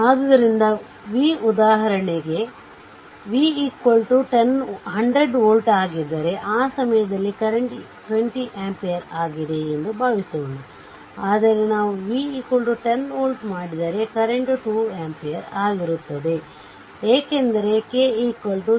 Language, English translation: Kannada, So, I told it that v for example, suppose here I have taken whatever I said same thing suppose if v is 100 volt see at that time current is 20 ampere, but if we make v is equal to 10 volt, the current will be 2 ampere right, because you are multiplying k is equal to say 0